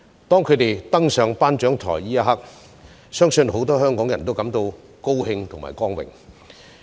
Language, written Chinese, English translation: Cantonese, 在他們登上頒獎台的一刻，相信很多香港人都感到高興和光榮。, At the very moment that our athletes stepped on the podium many Hong Kong people were happy and proud